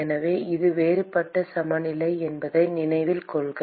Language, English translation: Tamil, So, note that this is the differential balance